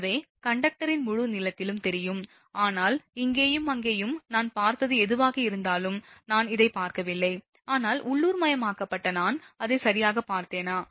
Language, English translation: Tamil, So, along the whole length of the conductor may be visible, but whatever little bit here and there I have seen, I have not seen this one, but localized I have seen it right